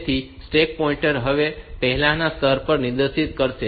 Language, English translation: Gujarati, So, stack pointer will now point to the previous location